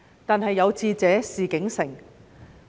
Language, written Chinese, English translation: Cantonese, 然而，有志者事竟成。, However where there is a will there is a way